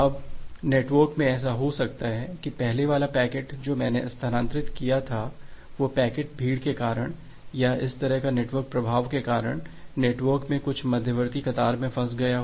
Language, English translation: Hindi, Now, it may happen in the network that well the earlier packet that I have transferred, that packet got stuck somewhere in some intermediate queue in the network because of the congestion or this kind of network effect